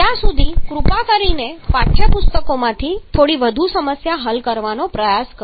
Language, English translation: Gujarati, Till then you please try to solve a few more problems from the text books